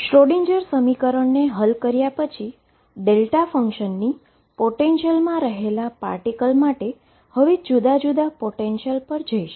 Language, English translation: Gujarati, Having solved the Schrodinger equation, for particle moving in a delta function potential, now I will go to different potentials